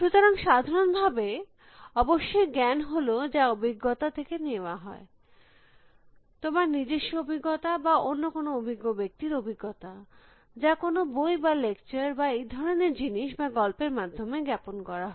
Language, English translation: Bengali, So, in general of course, knowledge says derived from experience, either your own experience or somebody else with experience and convey through in a form of books and lectures and things like that or stories